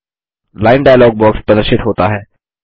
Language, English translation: Hindi, The Line dialog box is displayed